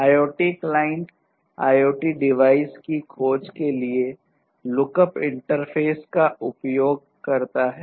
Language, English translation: Hindi, So, IoT client uses the lookup interface for discovery of IoT devices